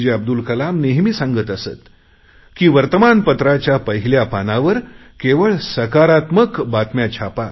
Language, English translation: Marathi, Abdul Kalam, used to always say, "Please print only positive news on the front page of the newspaper"